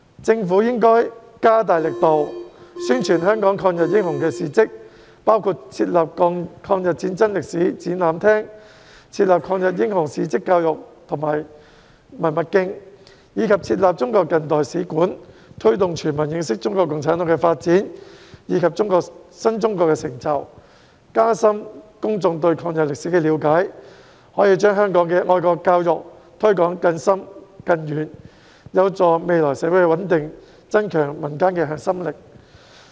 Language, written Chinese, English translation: Cantonese, 政府應該加大力度，宣傳香港抗日英雄的事蹟，包括設立抗日戰爭歷史展覽廳、抗日英雄事蹟教育及文物徑，以及中國近代史館，推動全民認識中國共產黨的發展及新中國的成就，加深公眾對抗日歷史的了解，可以把香港的愛國教育推廣得更深更遠，有助未來社會穩定，增強民間的核心力。, The Government should step up its efforts to publicize the deeds of Hong Kongs anti - Japanese aggression heroes including setting up an exhibition hall on the history of the War of Resistance education and heritage trails on the historical facts about anti - Japanese aggression heroes and a museum on modern Chinese history so as to promote awareness of the development of CPC and achievements of new China among all members of the public and deepen public understanding of the history on the War of Resistance . It can facilitate deeper and more far - reaching promotion of patriotic education in Hong Kong which will be conducive to social stability in the future and help to enhance the core strength of the community